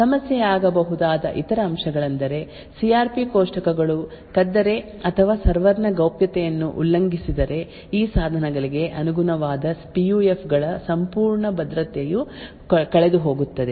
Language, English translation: Kannada, Other aspects that could be an issue is that the CRP tables if they are stolen or if the privacy of the server gets breached then the entire security of the PUFs corresponding to these devices would be lost